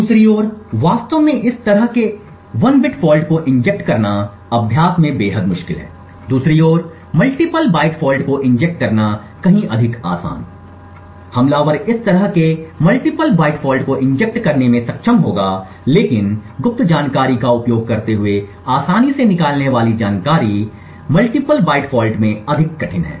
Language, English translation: Hindi, On the other hand actually injecting such a bit fault is extremely difficult in practice, on the other hand injecting multiple byte faults is much far more easier and the attacker would be able to inject such multiple byte faults far more easily however extracting secret information using a multiple byte fault is more difficult